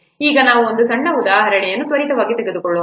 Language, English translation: Kannada, Now let's quickly take a small example